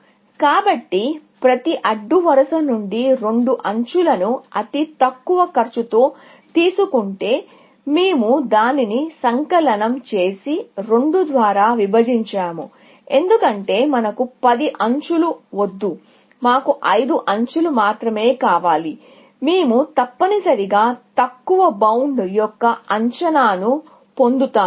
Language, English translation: Telugu, So, if the lowest cost two edges are taken from each row and we sum that up, and divide by 2, because we do not want 10 edges; we want only 5 edges; we will get an estimate of the lower bound essentially